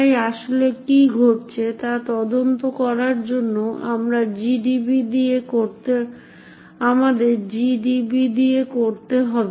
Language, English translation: Bengali, To so to investigate what is actually happening let us do so with gdb